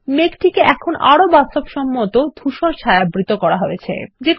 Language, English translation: Bengali, The cloud now has a more realistic shade of gray